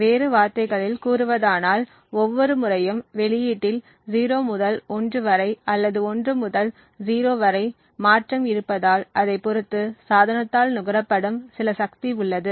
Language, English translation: Tamil, In other words, every time there is a transition in the output from 0 to 1 or 1 to 0, there is some power consumed by the device